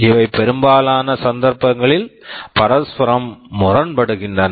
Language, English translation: Tamil, These are mutually conflicting in most cases